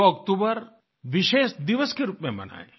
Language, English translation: Hindi, Let us celebrate 2nd October as a special day